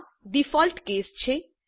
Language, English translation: Gujarati, This is the default case